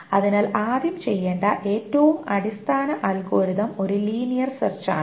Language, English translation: Malayalam, So the first thing, the very basic algorithm that can be employed to do it is a linear search